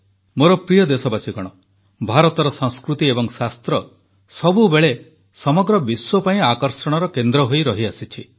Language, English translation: Odia, India's culture and Shaastras, knowledge has always been a centre of attraction for the entire world